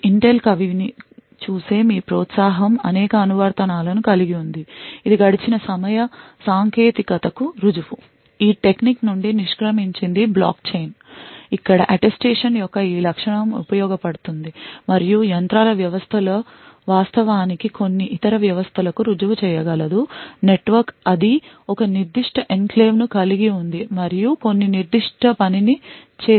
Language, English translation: Telugu, This has a several applications your encourage will look at Intel poet that is a prove of elapsed time technique which is quit a technique for block chain, where this feature of Attestation is comes in handy and machines systems can actually proves to some other system on the network that it owns a certain enclave and has performed certain specific work